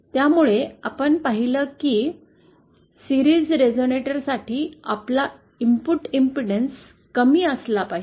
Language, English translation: Marathi, So, we saw that for a series resonator, our input impedance should be low